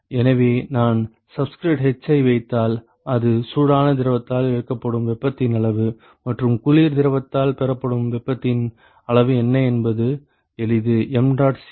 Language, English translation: Tamil, So, if I put subscript h that is the amount of heat that is lost by the hot fluid, and what is the amount of heat that is gained by the cold fluid easy right